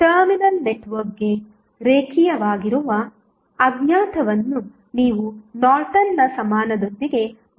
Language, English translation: Kannada, So, you will simply replace the unknown that is linear to terminal network with the Norton's equivalent